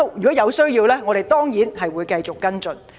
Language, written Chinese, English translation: Cantonese, 如有需要，我們當然會繼續跟進。, Of course we will also continue to follow up when necessary